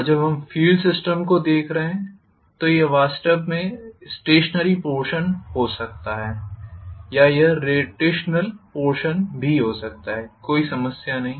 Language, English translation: Hindi, And when we are looking at filed system it can be actually the stationary portion or it can be the rotational portion, no problem